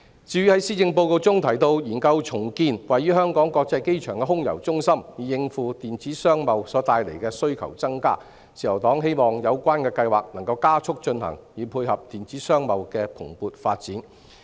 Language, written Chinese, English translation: Cantonese, 至於在施政報告中提到研究重建位於香港國際機場的空郵中心，以應付電子商貿所帶來的需求增加，自由黨希望有關計劃能夠加速進行，以配合電子商貿的蓬勃發展。, As regards exploring the feasibility of redeveloping the Air Mail Centre at the Hong Kong International Airport as suggested in the Policy Address to cope with the increased demand brought by e - commerce the Liberal Party hopes that the project can be carried out expeditiously to support the booming growth of e - commerce